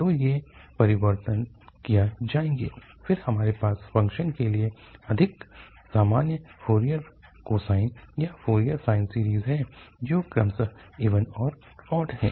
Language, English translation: Hindi, So, these changes will be made and then we have more general Fourier cosine or Fourier sine series for the functions which are odd and even respectively